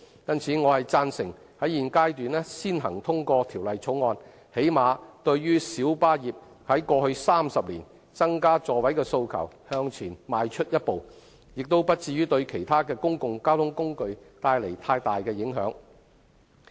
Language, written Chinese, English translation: Cantonese, 因此，我贊成現階段先行通過《條例草案》，最低限度對於小巴業界過去30年增加座位的訴求向前邁出一步，亦不至於對其他公共交通工具帶來太大的影響。, For this reason I support the passage of the Bill at the current stage so as to at least move a step forward in response to the light bus trades aspiration to increase the seating capacity over the past 30 years and to avoid causing severe impacts on other modes of public transport